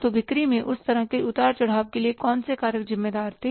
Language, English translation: Hindi, So, what were the factors responsible for that kind of the ups and downs in the sales